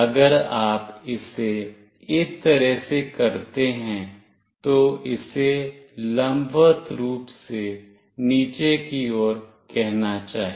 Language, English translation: Hindi, If you make it like this, it should say vertically down